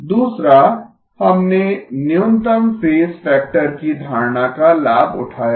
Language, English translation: Hindi, Second, we have leveraged the notion of a minimum phase factor